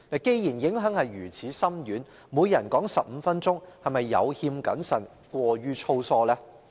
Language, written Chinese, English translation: Cantonese, 既然影響如此深遠，每人發言15分鐘，是否有欠謹慎和過於粗疏？, Since the implications are so profound is not giving each Member 15 minutes of speaking time rather imprudent and sloppy?